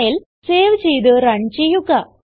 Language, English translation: Malayalam, Now, save and run this file